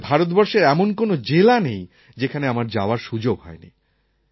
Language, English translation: Bengali, Perhaps there isn't a district in India which I have not visited